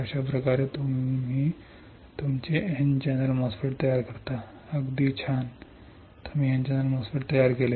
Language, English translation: Marathi, This is how you fabricate your N channel MOSFET, right cool this is how you fabricated N channel MOSFET